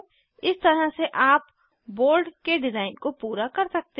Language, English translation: Hindi, In this way you can complete the design of the board